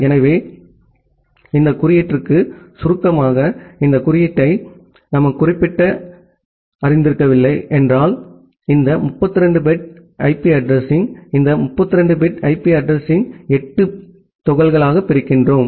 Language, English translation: Tamil, So, just for this notation briefly, if you are not familiar with this particular notation, so what we do that this entire 32 bit IP address, this 32 bit IP address we divide into 8 bit chunks